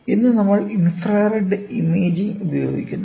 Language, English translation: Malayalam, So, today we are using infrared imaging